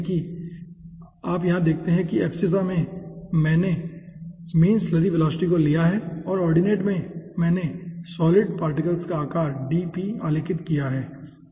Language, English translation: Hindi, so here you see, in the abscissa we have plotted the mean slurry velocity and in the ordinate we have plotted the solid particle size, dp